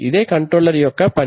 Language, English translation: Telugu, So this is the job of control